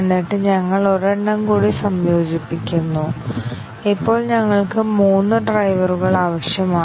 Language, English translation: Malayalam, And then we integrate one more, and now we need three drivers